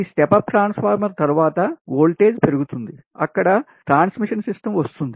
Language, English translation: Telugu, then after this step up, step up transformer is there, then voltage will be stepped